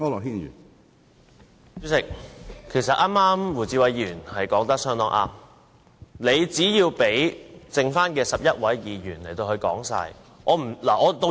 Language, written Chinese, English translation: Cantonese, 主席，其實剛才胡志偉議員說得很對，你只需讓餘下的11位議員完成發言。, President Mr WU Chi - wai was very right . You just have to let the remaining 11 Members speak . I do not know when todays meeting will end